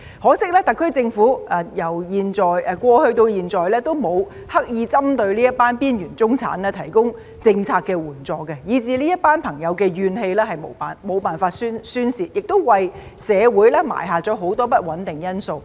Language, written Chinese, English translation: Cantonese, 可惜，特區政府由過去到現在都沒有刻意針對這群邊緣中產提供政策援助，以至這些朋友的怨氣無法宣泄，亦為社會埋下很多不穩定因素。, Regrettably the SAR government has not provided assistance in terms of policies specifically targetting these marginalized middle - class people and so there is no way for these people to vent their grievances thus creating many factors for instability in society